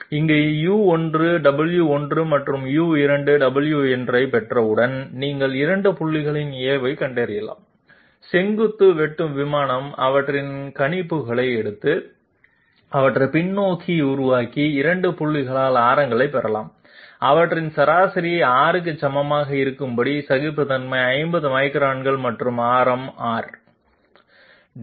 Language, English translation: Tamil, Once you get U1, W1 and U2, W2, you can find out the normals at the 2 points, take their projections on the vertical intersecting plane, producing them backwards, get radii at the 2 points, get their mean equal to R with the values of say form tolerance 50 microns and the radius R